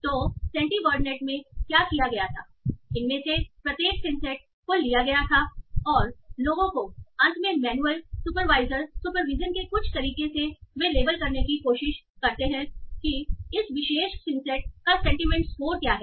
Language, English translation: Hindi, So what was done in Santiwardnet, each of these insights were taken and people, so by some way of finally doing manual supervision, they try to label what is the sentiment score of this particular synced